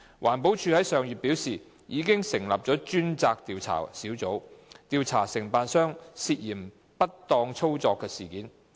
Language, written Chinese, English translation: Cantonese, 環保署於上月表示，已成立專責調查小組，調查承辦商涉嫌不當操作的事件。, EPD indicated last month that an investigation team had been set up to investigate the alleged malpractices of the contractor